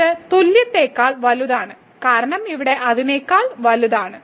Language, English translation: Malayalam, So, this is greater than equal to because here it was greater than